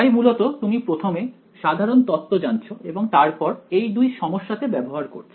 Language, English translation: Bengali, So, you learn the general theory and then we applied to two problems ok